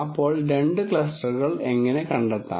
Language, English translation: Malayalam, So, how do we find the two clusters